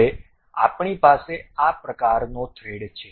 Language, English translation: Gujarati, Now, we have such kind of thread